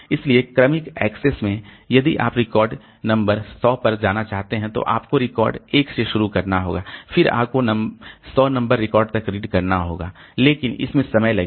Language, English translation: Hindi, So, sequential access if you want to go to record number 100 you have to start at record 1 then you have to go on reading till you come to record number 100 but that takes time